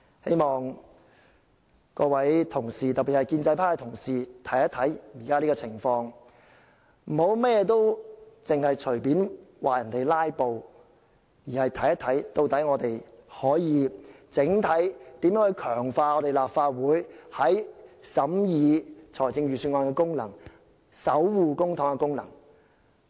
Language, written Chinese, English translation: Cantonese, 希望各位同事，特別是建制派同事，看看現時的情況，不要隨便指責其他議員"拉布"，而要探討我們如何能整體強化立法會審議預算案和守護公帑的功能。, I hope that Members particularly pro - establishment Members will consider the existing situation and refrain from arbitrarily accusing other Members of filibustering; they should instead explore how we as a whole can strengthen the Legislative Councils function of scrutinizing the Budget and guarding public money